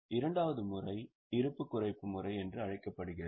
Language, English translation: Tamil, The second method is known as reducing balance method